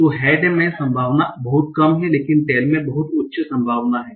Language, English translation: Hindi, So head has a very low probability, but tail has a very high probability